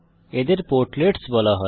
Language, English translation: Bengali, These are called portlets